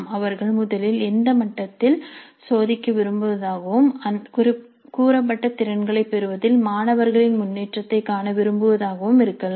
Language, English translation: Tamil, It could be that they would like to first test at that level and see what is the progress of the students in terms of acquiring competencies stated